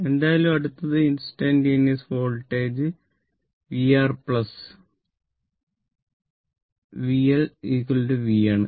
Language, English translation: Malayalam, Anyway, so next is instantaneous voltage that is v R plus v L is equal to v